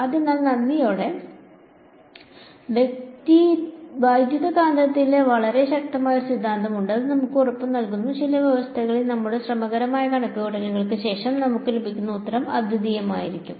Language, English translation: Malayalam, So, thankfully for us there is a very powerful theorem in electromagnetics which guarantees us, that under certain conditions the answer that we get after our laborious calculations will be unique